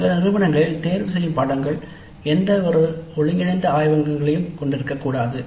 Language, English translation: Tamil, Then in some institutes the electives are not supposed to be having any integrated laboratories